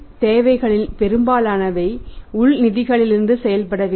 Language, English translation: Tamil, And most of the funds requirement should be made from the internal funds